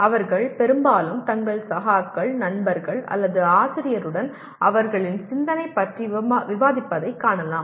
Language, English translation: Tamil, They often can be seen discussing with their colleagues, their friends or with the teacher about their thinking